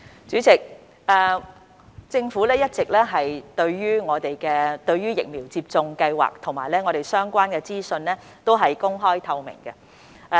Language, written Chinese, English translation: Cantonese, 主席，對於疫苗接種計劃及相關資訊，政府均一直公開透明。, President speaking of the vaccination programme and the relevant information the Government has all along acted with openness and transparency